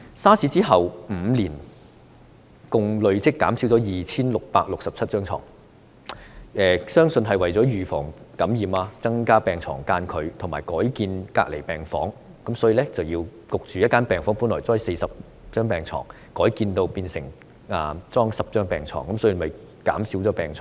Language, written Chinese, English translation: Cantonese, SARS 之後5年，共累積減少 2,667 張床，相信這是為了預防感染，增加病床間距和改建隔離病房；例如在某間醫院，一間本來擺放40張病床的病房，被迫改建，只擺放10張病床。, Five years after the outbreak of SARS a total of 2 667 beds were cut . I believe this was a kind of precaution against infection as the distance between beds was increased and certain wards were converted into isolation wards . For instance in a certain hospital a ward in which there were originally 40 beds was forced to be refurbished into one with only 10 beds